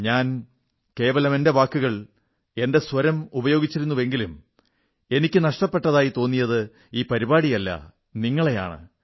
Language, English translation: Malayalam, I just used my words and my voice and that is why, I was not missing the programme… I was missing you